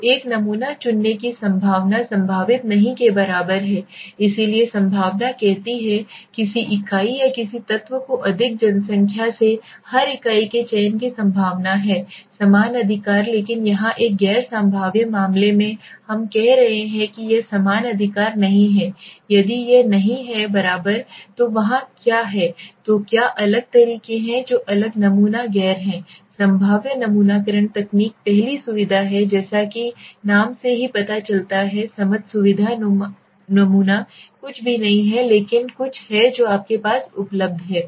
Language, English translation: Hindi, So the probabilistic the probability of choosing a sample is not equal right so probability says that the chances of selecting somebody say unit or an element from more population every unit is equal right but here in a non probabilistic case we are saying it is not equal right so if it is not equal then what is there so what are the different ways of what are the different sampling non probabilistic sampling techniques the first is the convenience so as the name suggest as we understand convenience sampling is nothing but something that is available close to you right easily available right so let us see right I am not getting into this